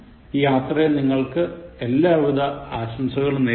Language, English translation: Malayalam, Wish you all luck and wish you all the best in your journey